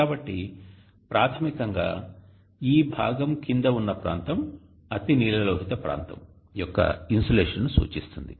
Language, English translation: Telugu, so which basically means that the area under this portion would indicate insulation of the ultraviolet region the wavelength